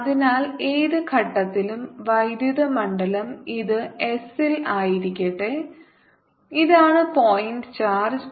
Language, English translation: Malayalam, so at any point, electric field, let this is at s and this is a point charge